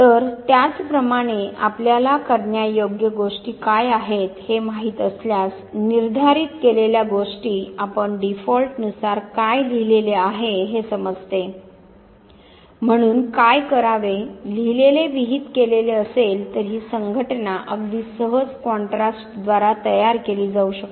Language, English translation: Marathi, So, similarly if you know what are the doable things, the prescribed things you by default understand what is proscribed, so do's, don’ts, prescribed proscribed, this association can very easily be formed by contrast